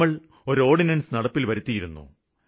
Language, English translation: Malayalam, We had issued an ordinance